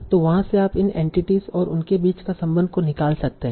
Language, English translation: Hindi, So from there can you extract these are the entities and this is the relation between them